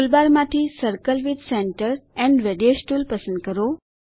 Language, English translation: Gujarati, Select Circle with Center and Radius tool from toolbar